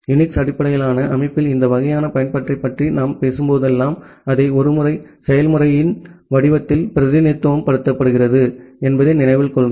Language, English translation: Tamil, And remember that whenever we talk about this kind of application in a UNIX based system, we basically represent it in the form of a process